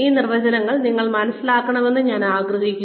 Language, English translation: Malayalam, I would just like you to understand these definitions